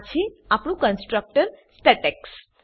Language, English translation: Gujarati, This is our constructor statex